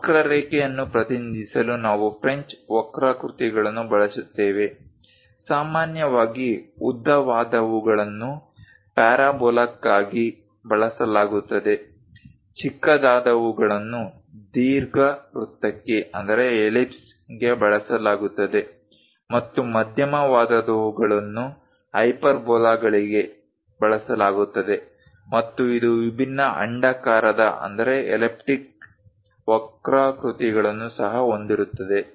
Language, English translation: Kannada, To represent a curve, we use French curves; usually, the longer ones are used for parabola ; the shorter ones used for ellipse and the medium ones are used for hyperbolas, and also, it contains different elliptic curves also